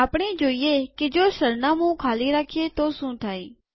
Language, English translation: Gujarati, Let us see what happens when we give an empty address